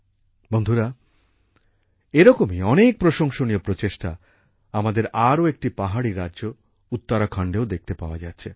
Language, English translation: Bengali, Friends, many such commendable efforts are also being seen in our, other hill state, Uttarakhand